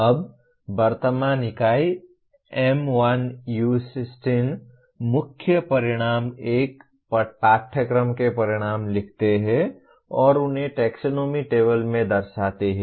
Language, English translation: Hindi, Now the present unit, M1U16, the main outcome is write outcomes of a course and locate them in the taxonomy table